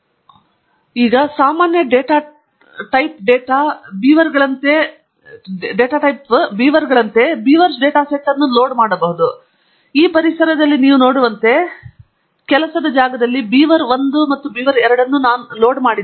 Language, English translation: Kannada, So, to load the Beavers data set, as usual type data beavers, and as you can see in the environment here, the work space beaver1 and beaver2 have been loaded